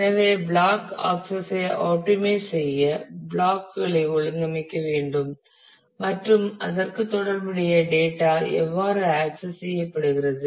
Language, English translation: Tamil, So, to optimize the block access we need to organize the blocks corresponding to how the data will be access